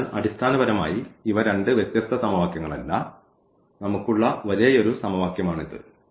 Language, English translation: Malayalam, So, basically these are not two different equations this is the same equation we have only 1 equations